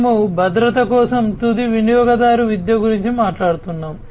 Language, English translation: Telugu, So, we are talking about, you know, end user education for security